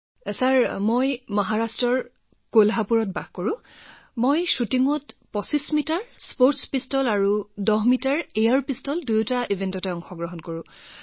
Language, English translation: Assamese, Sir I am from Kolhapur proper, Maharashtra, I do both 25 metres sports pistol and 10 metres air pistol events in shooting